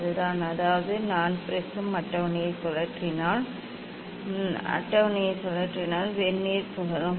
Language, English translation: Tamil, that is what so; that means, if I rotate the prism table; if I rotate the prism table Vernier will rotate